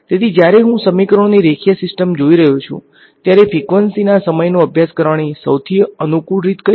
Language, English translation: Gujarati, So, when I am looking at a linear system of equations then, what is the most convenient way of studying time of frequency